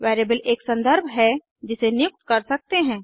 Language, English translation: Hindi, Variable is a reference that can be assigned